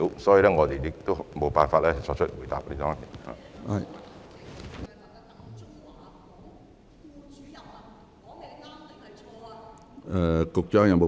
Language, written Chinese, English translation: Cantonese, 所以，我無法作出回答。, Thus I cannot answer the question